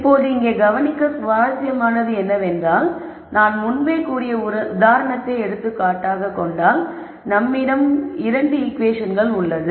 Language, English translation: Tamil, Now, it is interesting to notice something here for let us just take this as an example already we have 2 equations, I have already mentioned that the 2 equations are here